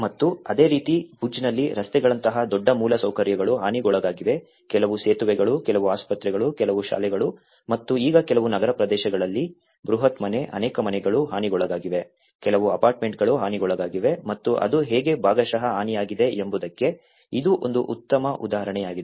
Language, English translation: Kannada, And similarly in Bhuj, where a large infrastructure has been damaged like roads also, some of the bridges, some of the hospitals, some of the schools which has been and now some in the urban areas, huge house, many houses have been damaged, some apartments have been damaged and this is one good example of how it has partially been damaged